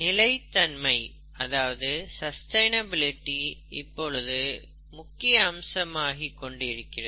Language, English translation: Tamil, Sustainability, it's a very big aspect nowadays